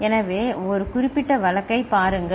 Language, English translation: Tamil, So, look at a particular case